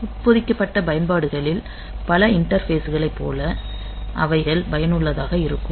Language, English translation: Tamil, So, they are very very much useful like many of the interfaces that we have in embedded applications